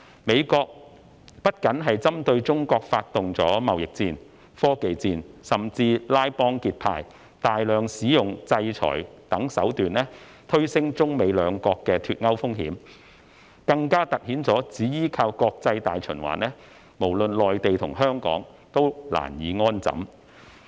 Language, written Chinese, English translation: Cantonese, 美國不僅針對中國發動貿易戰、科技戰，甚至拉幫結派，大量使用制裁等手段，推升中美兩國的"脫鈎"風險，更突顯只依靠國際大循環，無論內地和香港均難以安枕。, The United States has not only waged trade wars and technology wars against China but has also formed cliques and used many tricks like sanctions to elevate the risk of a decoupling of China and the United States . This highlights the fact that it is insecure for both the Mainland and Hong Kong to rely on international circulation alone